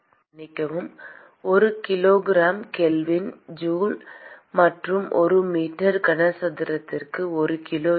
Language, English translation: Tamil, Excuse me, joule per kilogram kelvin and rho is kg per meter cube